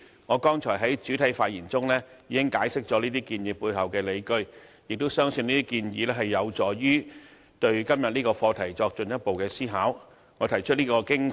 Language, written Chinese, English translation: Cantonese, 我剛才在主體發言中已經解釋了這些建議背後的理據，亦相信這些建議有助大家進一步思考今天的課題。, In my main speech earlier I have already explained the underlying arguments for such proposals and I also believe they can induce further thoughts from Members on the issue today